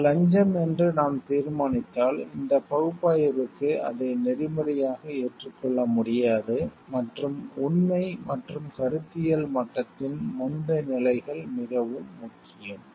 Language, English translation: Tamil, If we determine it is a bribe, then it cannot be ethically accepted for this analysis and the previous stages or fact and conceptual level is very important